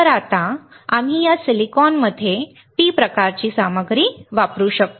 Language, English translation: Marathi, So, we can now dope a P type material in this silicon